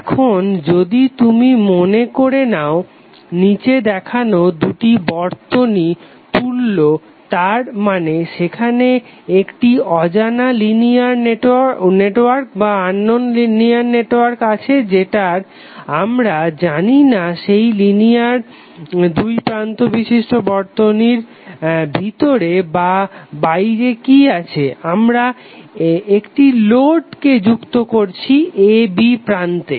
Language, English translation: Bengali, Now if you assume that there are two circuits which are shown below are equivalent that means there is an unknown linear network where we do not know what is inside and outside that linear two terminals circuit we have connected a load across terminals a b